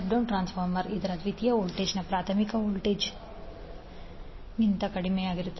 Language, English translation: Kannada, Step down transformer is the one whose secondary voltages is less than the primary voltage